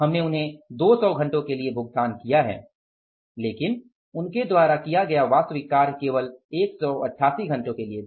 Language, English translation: Hindi, We have paid them for 200 hours but actual work done by them was only for 188 hours